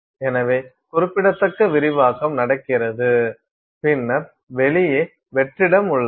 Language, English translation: Tamil, So, significant expansion is happening and then there is vacuum outside